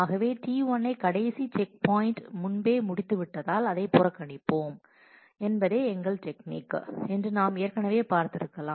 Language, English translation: Tamil, So, we can we have already seen that our strategy would be that we will ignore T 1 because it had completed before the last checkpoint